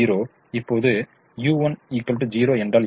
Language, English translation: Tamil, u one is equal to zero